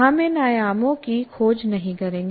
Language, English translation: Hindi, We will not be exploring all this